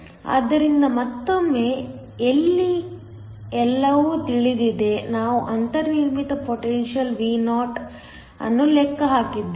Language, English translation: Kannada, So, once again everything here is known we just calculated the built in potential Vo